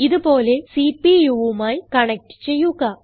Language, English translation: Malayalam, Connect it to the CPU, as shown